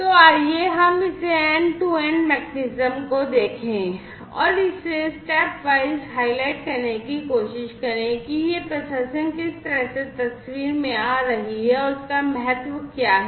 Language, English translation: Hindi, So, let us look at this end to end mechanism and let us try to highlight stepwise, how this processing is coming into picture and its importance